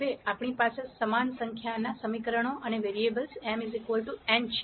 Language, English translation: Gujarati, Now we have the same number of equations and variables m equal to n